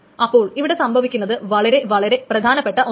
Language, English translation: Malayalam, So now essentially what is happening is here is very, very important